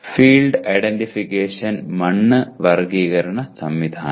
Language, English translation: Malayalam, Field identification, soil classification system